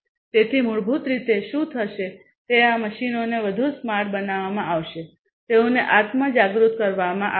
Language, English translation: Gujarati, So, basically what will happen is these machines will be made smarter, they would be made self aware